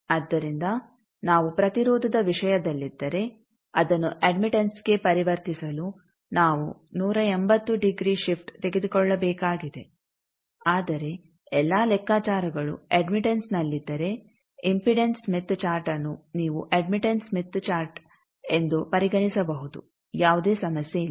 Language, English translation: Kannada, So, if we are in an impedance thing then to convert that to admittance we need to take a 180 degree shift, but if all the calculations are in admittance is then the impedance smith chart you can consider as an admittance smith chart there is no problem